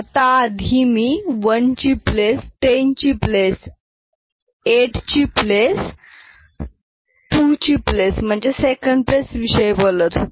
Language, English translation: Marathi, Now, earlier I was talking about 1s place, 10’s place, 8s place, 2s place that is a second position